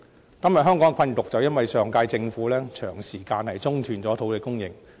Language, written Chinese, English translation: Cantonese, 香港今天的困局，正是因為上屆政府長時間中斷土地供應所造成。, The dilemma we are in is exactly the result of the suspension of the supply of land for a long time by the Government of the last term